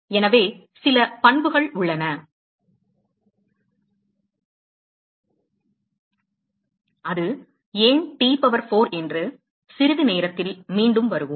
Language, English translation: Tamil, So, there are certain properties, we will come back to why it is T power 4 in a short while